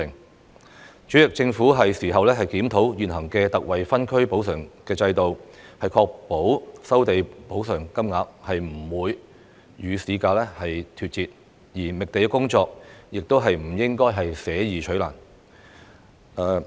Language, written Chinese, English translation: Cantonese, 代理主席，政府應檢討現行的特惠分區補償制度，確保收地補償金額不會與市價脫節，而覓地工作亦不應捨易取難。, Deputy President the Government should review the existing ex - gratia zonal compensation system to ensure that the amounts of compensation for land resumption will not be out of line with the market prices and not to adopt a difficult rather than an easy approach in site search